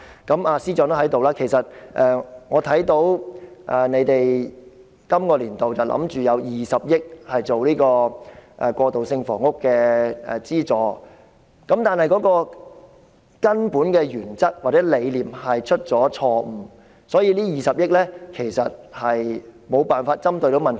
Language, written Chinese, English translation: Cantonese, 司長，你正好在席，其實我看到你打算在本年度的財政預算案中預留20億元作為過渡性房屋的資助，但是，政府的根本原則或理念錯誤，所以，這20億元無法針對問題。, Secretary it is great that you are present here . Actually as I can see you have planned to set aside 2 billion in this years Budget as the subsidy for transitional housing projects but with the erroneous fundamental principle or rationale held by the Government this 2 billion will not be able to address the problem